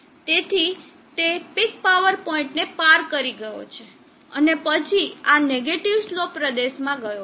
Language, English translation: Gujarati, So it has crossed the peak power point and then gone into this negative slope region